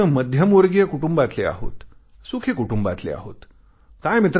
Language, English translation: Marathi, We all belong to the middle class and happy comfortable families